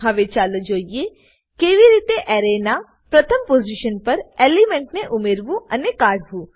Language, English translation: Gujarati, Now, let us see how to add/remove an element from the 1st position of an Array